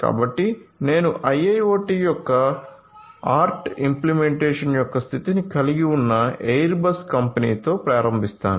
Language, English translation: Telugu, So, you know I will start with the Airbus company which has state of the art you know implementation of IIoT